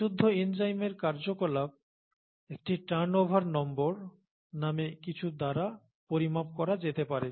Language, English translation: Bengali, The activity of pure enzymes can be quantified by something called a turnover number